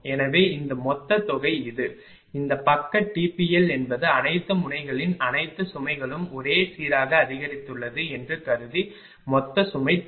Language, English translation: Tamil, So, this ah total this is the this side T P L is the total load know for assuming that all the ah loads of all the nodes are increased uniformly